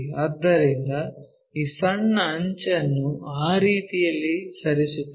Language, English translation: Kannada, So, move this small edge in that way